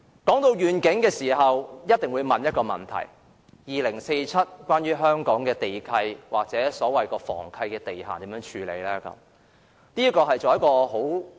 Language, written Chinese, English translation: Cantonese, 談及願景，我們一定會問一個問題：香港的地契或房契地限到2047年會如何處理？, Speaking of vision we must have a question in mind In what ways will Hong Kongs land leases or property leases be handled upon their expiry in 2047?